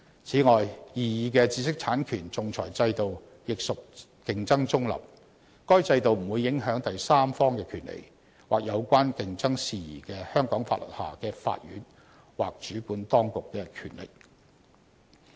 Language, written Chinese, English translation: Cantonese, 此外，擬議的知識產權仲裁制度，亦屬競爭中立。該制度不會影響第三方的權利，或有關競爭事宜的香港法律下的法院或主管當局的權力。, The proposed IP arbitration regime is also competition neutral and does not affect the rights of third parties competition authorities or the courts under the competition laws of Hong Kong